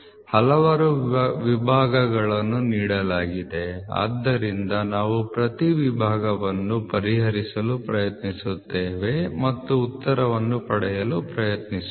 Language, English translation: Kannada, So, there are several divisions given so let us try to solve each subdivision and try to get the answer